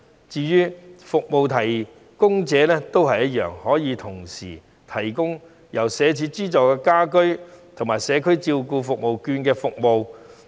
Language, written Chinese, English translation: Cantonese, 至於服務提供者，他們可以同時提供由社署資助的家居服務及社區券的服務。, As regards service providers they can provide the home care services subsidized by SWD as well as the services related to CCS vouchers